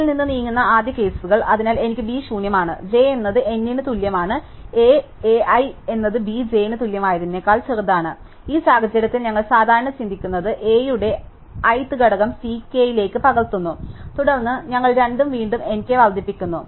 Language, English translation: Malayalam, So, I have B is empty, j is equal to n are the element of the head of A, A i is smaller than equal to B j in which case we do the usual think, we copy the ith element of A into C k and then, we increment both i and k